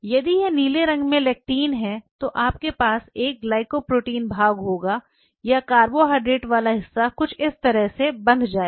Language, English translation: Hindi, What you essentially will have something like this if this is the lectin in a blue color, you will have a glycoprotein part or the carbohydrate part will bind to it something like this